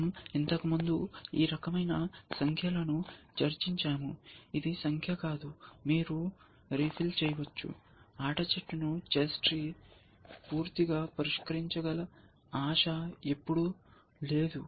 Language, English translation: Telugu, We have already discussed this kind of numbers before, that this is not the number, you can refill with, there is no hope ever of solving the game tree completely, chess tree completely